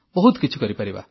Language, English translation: Odia, We can do a lot